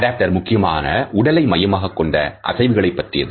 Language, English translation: Tamil, Adopters principally comprise body focused movements